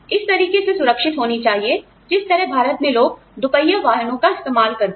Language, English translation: Hindi, That should be safer than, the manner in which, people used two wheelers in India